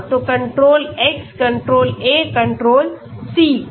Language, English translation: Hindi, Yeah so control X, control A, control C